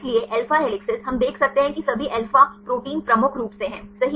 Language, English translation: Hindi, So, alpha helices we can see the all alpha proteins are predominant right